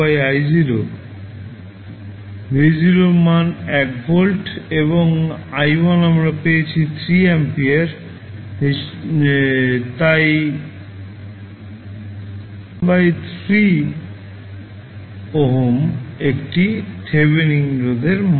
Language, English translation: Bengali, V naught value is 1 volt, and I1 we have just calculated as 3 ampere we get, 1 by 3 ohm as a Thevenin resistance